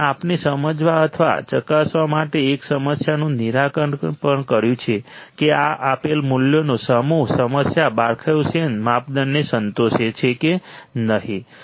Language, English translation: Gujarati, And we have also solved a problem to understand or verify whether the problem the given set of values the problem satisfies the Barkhausen criterion or not right